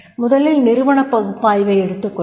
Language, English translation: Tamil, First we will go through the organizational analysis